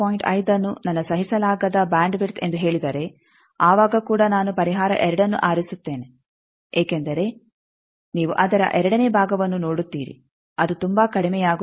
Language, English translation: Kannada, 5 is my tolerable bandwidth then also I will choose solution 2 because you see the its second part it is going very low